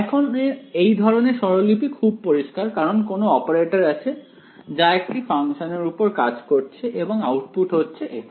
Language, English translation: Bengali, So, now the sort of notation is clear to you right there is some operator which acts on some function and output is f of r